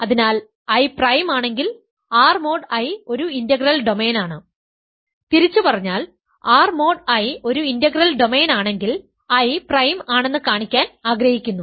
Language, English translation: Malayalam, So, if I is prime, R mod I is an integral domain; conversely if R mod I is an integral domain you want to show that I is prime